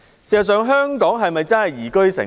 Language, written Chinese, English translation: Cantonese, 事實上，香港是否真的是宜居城市？, In fact is Hong Kong really a liveable city?